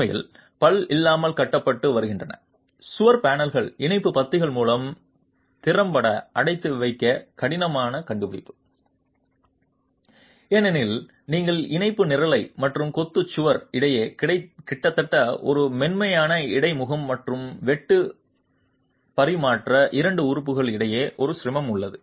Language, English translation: Tamil, In fact, wall panels which have been constructed without towing find it difficult to get confined effectively by the tie columns because you have almost a smooth interface between the tie column and the masonry wall and the sheer transfer is a difficulty between the two elements